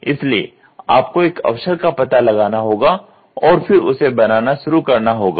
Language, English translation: Hindi, So, you have to find out an opportunity and then start doing it